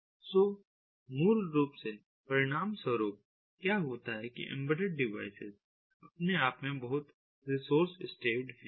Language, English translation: Hindi, so basically, consequently, what happens is these embedded devices they themselves are very resource staved